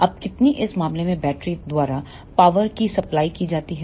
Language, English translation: Hindi, Now, how much is the power supplied by the battery in this case